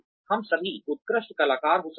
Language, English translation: Hindi, All of us may be excellent performers